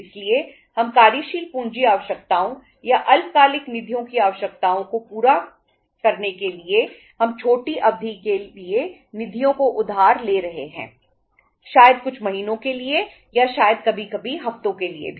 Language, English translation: Hindi, So since for fulfilling the working capital requirements or the short term funds requirements we are borrowing the funds for the shorter period, maybe for a few months or maybe sometimes for weeks even